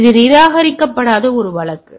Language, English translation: Tamil, So, this is a case of non repudiation